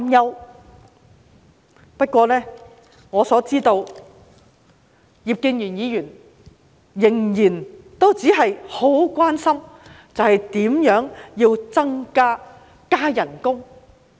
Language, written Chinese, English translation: Cantonese, 然而，據我所知，葉建源議員仍然只關心如何能夠加薪。, However according to my understanding Mr IP Kin - yuen so far is merely concerned about how to get a pay rise